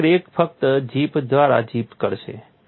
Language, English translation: Gujarati, So, cracks will simply zip through